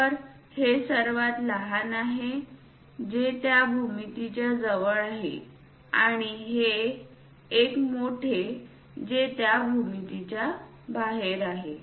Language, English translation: Marathi, So, this is the smallest one that is a reason inside of that geometry near to that and the large one outside of that geometry